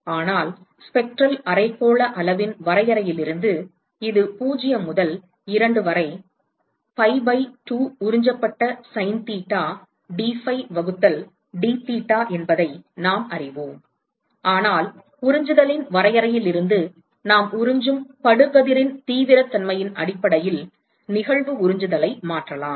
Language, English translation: Tamil, But we know from definition right of the spectral hemispherical quantity this is 0 to 2, pi by 2 absorbed sine theta dphi divided by dtheta, but from the definition of absorptivity we can replace the incident absorptivity in terms of it is the incident intensity of absorption with the absorptivity, which is an intrinsic property of that system